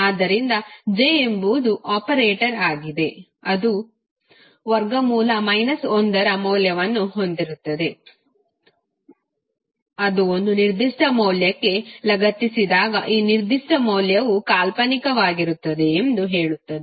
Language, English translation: Kannada, So j is the operator which has the value equal to under root of minus 1 which says that when it is attached to one particular value, then this particular value will become imaginary terms and this will become real term